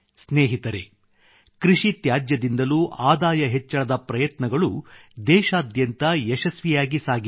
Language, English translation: Kannada, many experiments of creating wealth from agricultural waste too are being run successfully in the entire country